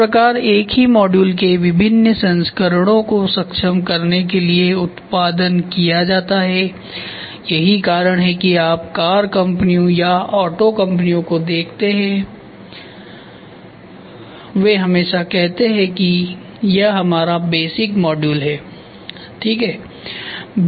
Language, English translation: Hindi, Thus enabling a variety of versions of the same module to be produced that is why you see the car companies auto companies they always say this is my basic module ok